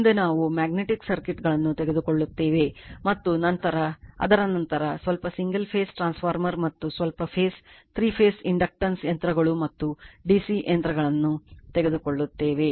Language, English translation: Kannada, Next we will take the magnetic circuits and after that a little bit of single phase transformer and , little bit of three phase induction machines and d c machines so